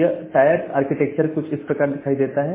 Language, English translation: Hindi, And this Tier architecture looks something like this